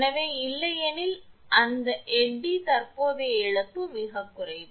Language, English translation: Tamil, So, otherwise that eddy current loss is negligible